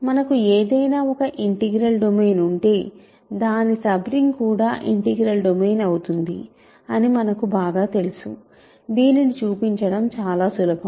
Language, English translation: Telugu, We know very well, that if you have any integral domain a sub ring is also an integral domain that is very easy to show